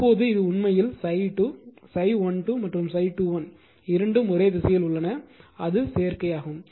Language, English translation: Tamil, Now this is actually phi 2 phi 1 2 and phi 2 1 both are in the same direction the additive is not it